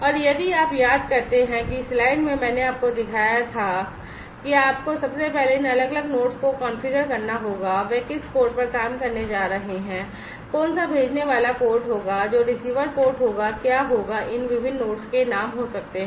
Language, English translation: Hindi, And if you recall, that you know in the slide I had shown you that you will have to first configure these different nodes regarding, which port they are going to work, which one will be the sender port, which will be the receiver port, what will be the names of these different nodes